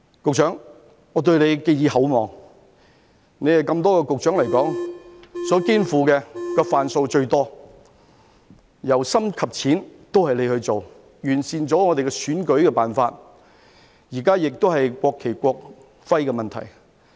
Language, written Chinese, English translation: Cantonese, 局長，我對你寄以厚望，以多位局長來說，你所肩負的"瓣數"最多，由深到淺都是由你去做，完善了我們的選舉辦法，現在是國旗、國徽的問題。, Among the public officers you are the one tasked with the largest number of portfolios . The toughest and the easiest ones are all dealt by you . You have completed the task to improve our electoral methods; and now you deal with the national flag and national emblem